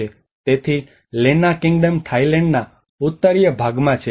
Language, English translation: Gujarati, So the Lanna Kingdom is in a northern part of the Thailand